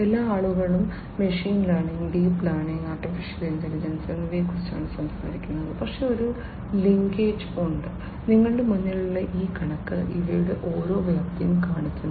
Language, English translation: Malayalam, You know all the people are talking about machine learning, deep learning, artificial intelligence, but there is a you know there is a linkage and this is this figure in front of you shows you know what is the scope of each of these